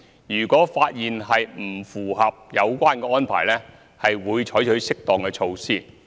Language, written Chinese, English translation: Cantonese, 如果發現不符合有關安排，會採取適當措施。, If it is found that the relevant arrangements are not complied with appropriate measures will be taken